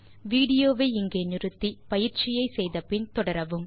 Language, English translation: Tamil, Pause the video here and do this exercise and then resume the video